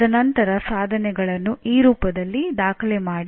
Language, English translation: Kannada, And then record the attainments in this form